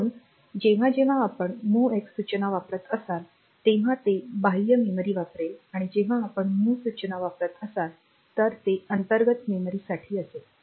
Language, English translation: Marathi, So, if you are using MOVX then it will be using this external memory if you are using MOV it will be using this internal memory